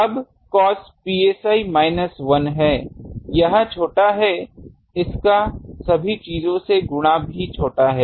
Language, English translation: Hindi, Now, cos psi minus 1, this is small this multiplied by this overall thing is small